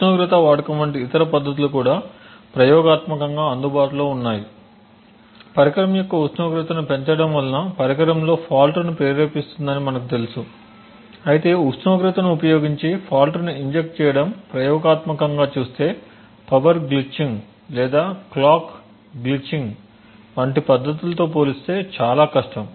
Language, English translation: Telugu, There are other techniques which also have been experimented with such as the use of temperature increasing the temperature of a device as we know would cost induce faults in the device however as the experiment show injecting faults using temperature is more difficult to achieve compare to the other techniques of power glitching or clock glitching